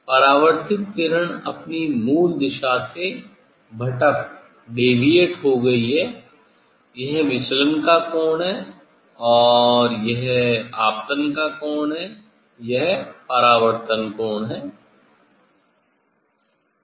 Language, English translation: Hindi, reflected one is deviated from the original direction this is the angle of deviation and this is the angle of incidence this is the angle of reflection